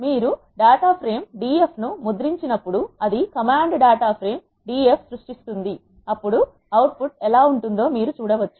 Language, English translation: Telugu, This command will create a data frame d f when you print the data frame df, this is how the output looks